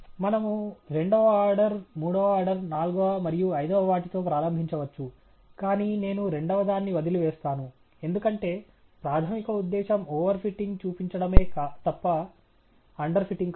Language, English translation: Telugu, We can begin with the second order, third order, fourth, and fifth, but I will skip the second, because the primary purpose is to show over fitting not under fitting okay